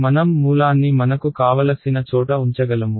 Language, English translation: Telugu, I can put the origin wherever I want